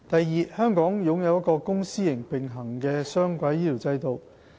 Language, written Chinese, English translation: Cantonese, 二香港擁有一個公私營並行的雙軌醫療制度。, 2 The health care system of Hong Kong runs on a dual - track basis encompassing both public and private elements